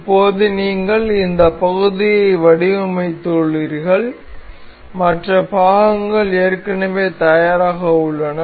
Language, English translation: Tamil, So, now, you have designed this part and you have other parts already ready